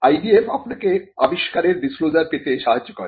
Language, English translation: Bengali, The IDF helps you to get the disclosure of the invention